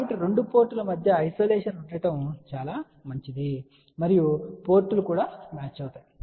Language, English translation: Telugu, So that means, that isolation between the 2 ports is very good and also the ports are matched